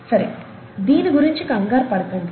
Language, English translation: Telugu, Don’t worry about this